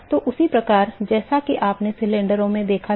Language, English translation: Hindi, So, similar to what we saw in the cylinders